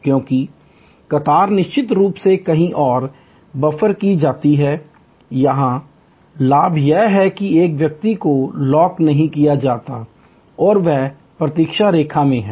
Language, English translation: Hindi, Because, the queue is buffered elsewhere of course, here the advantage is that a person is not locked in as he or she is in a waiting line